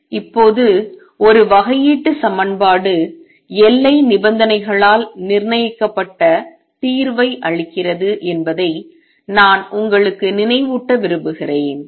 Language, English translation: Tamil, Now, I just want to remind you that a differential equation gives solution that is fixed by boundary conditions